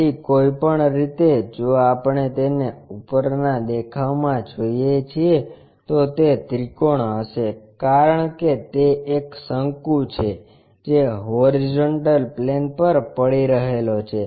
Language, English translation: Gujarati, Then anyway in the top view if we are looking at it, it will be a triangle because it is a cone which is resting on the horizontal plane